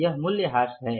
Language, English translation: Hindi, This is a depreciation